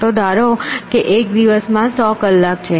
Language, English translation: Gujarati, Let assume that there are 100 hours in a day